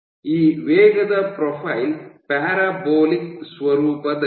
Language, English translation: Kannada, So, this velocity profile is parabolic in nature